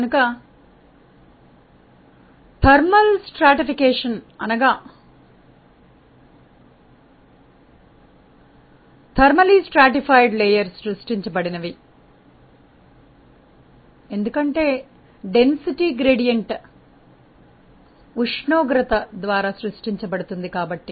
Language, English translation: Telugu, So, the thermal stratification means there is a thermally stratified layer that is being created because, the density gradient is being created by the temperature